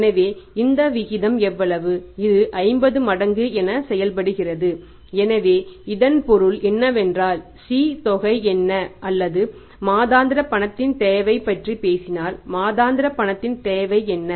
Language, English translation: Tamil, So it means what is the say C amount or the monthly requirement of cash if you talk about monthly requirement of cash is monthly cash requirement